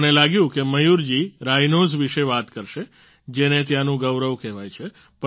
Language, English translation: Gujarati, I thought that Mayur ji would talk about the Rhino, hailed as the pride of Kaziranga